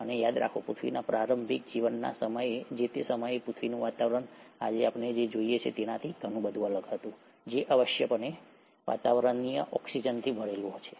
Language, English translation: Gujarati, And mind you, at that point of time in the early life of earth, the atmosphere of the earth was very different from what we see of today, which is essentially full of atmospheric oxygen